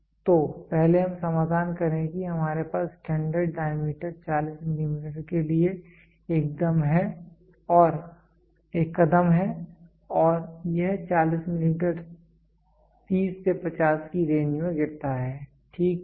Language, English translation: Hindi, So, first let us solution first what we have a standard diameter standard diameter a step for 40 millimeter and this 40 millimeter falls in range of what 30 to 50, ok